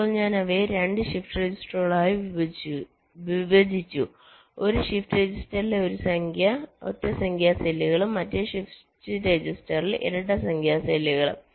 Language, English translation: Malayalam, now i split them into two shift registers with the odd number cells in one shift register and the even number cells in the other shift register